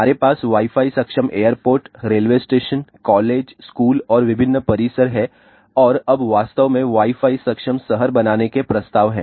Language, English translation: Hindi, We have a Wi Fi enabled airports, railway stations, colleges, schools and various campuses and now in fact, there are proposes to make Wi Fi enabled cities ah